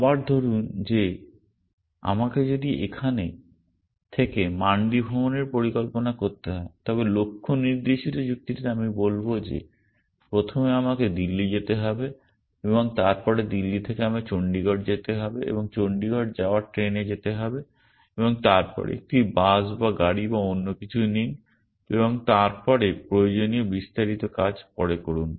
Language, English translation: Bengali, Again let us say that if I have to plan a trip from here to mandi then in goal directed reasoning I would say that first maybe I need to go to Delhi and then from Delhi I need to fly to Chandigarh or take a train to Chandigarh and then take a bus or car or something and then work out the details later essentially